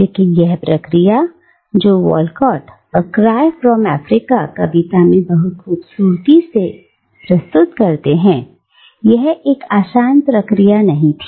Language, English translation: Hindi, But this process, which Walcott performs very beautifully in the poem “A Far Cry from Africa”, is not an easy process